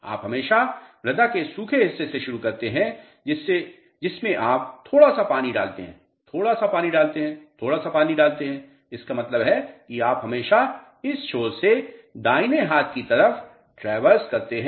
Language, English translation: Hindi, You always start from the driest part of the soil you add a little bit of water, add a little bit of water, add a little bit of water; that means, you always traverse from this to right hand side, clear